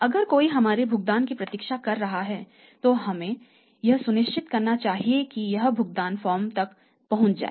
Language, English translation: Hindi, If somebody is if somebody is waiting for our payment that we must make sure that this payment reaches to the who has to receive the payment